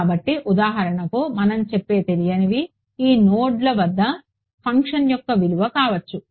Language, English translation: Telugu, So, the unknowns that we will say for example, can be the value of the function at these nodes